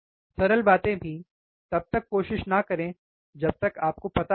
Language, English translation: Hindi, Even simple things, do not try until you know, right